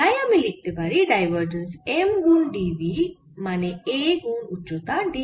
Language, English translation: Bengali, so i can immediately write that divergence of m times d v is a times its height